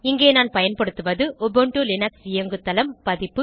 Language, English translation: Tamil, Here I am using Ubuntu Linux OS version